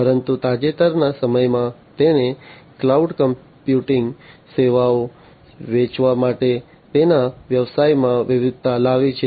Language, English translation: Gujarati, But, in recent times it has diversified its business to selling cloud computing services